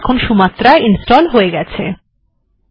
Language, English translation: Bengali, Sumatra is installed now